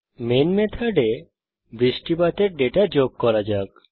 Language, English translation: Bengali, Within the main method, let us add the rainfall data